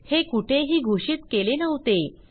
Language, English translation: Marathi, It was not declared anywhere